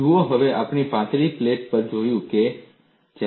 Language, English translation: Gujarati, See, now we have looked at thin plate